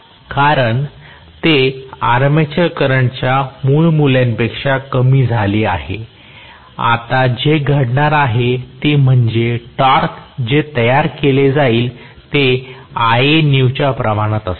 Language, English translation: Marathi, Because it is now less than the original value of armature current, what is going to happen now is, the torque that is produced is going to be proportional to Ianew